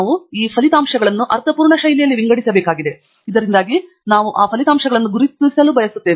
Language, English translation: Kannada, We must sort these results in a meaningful fashion, so that we can identify those results that we want to go over